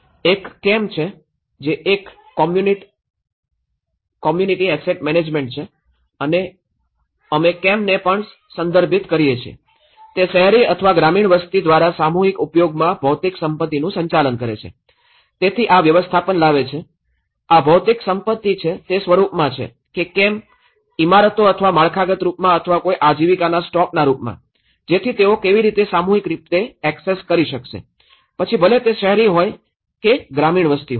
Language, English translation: Gujarati, One is CAM, which is a community asset management and we also refers CAM, it is the management of physical assets in collective use by urban or rural populations so, this brings the management so, these are the physical assets whether it is in the form of buildings or in a form of infrastructure or in the form of any livelihood stock so, how collectively they are able to access, whether it is an urban or rural population